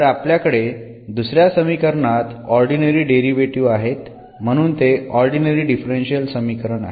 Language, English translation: Marathi, So, we have the ordinary derivatives here the second equation this is also the ordinary differential equation